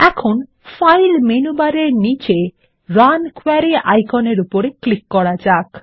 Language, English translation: Bengali, Now, let us click on the Run Query icon below the file menu bar